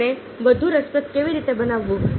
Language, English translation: Gujarati, how to make it more interesting